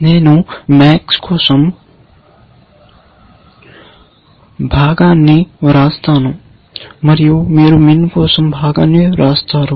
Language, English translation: Telugu, I will write the part for the max, and you write the part for min